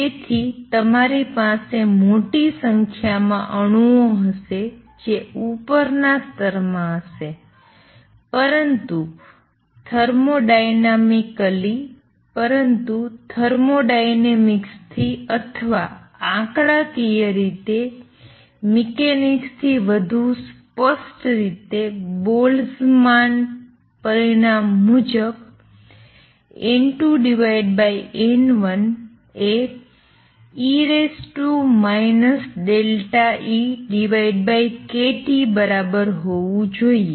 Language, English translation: Gujarati, So, you will have large number of atoms sitting in the upper sate, but thermodynamically, but from thermodynamics or more precisely from the statistically mechanics Boltzmann result is that N 2 over N 1 should be equal to E raise to minus delta E over a T